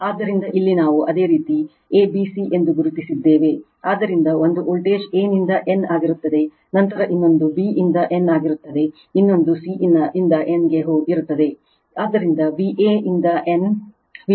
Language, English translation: Kannada, So, here we have marked that your a, b, c, so one voltage will be a to n, then another will be b to n, another will be your c to n, so V a to n, V b to n, and V c to n right